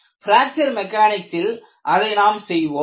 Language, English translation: Tamil, So, in fracture mechanics, we do that